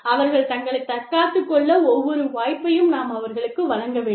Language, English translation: Tamil, We must give the employee, every possible chance to defend, herself or himself